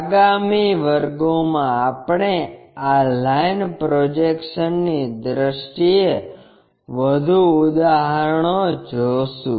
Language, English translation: Gujarati, In the next classes we will look at more examples in terms of this line projections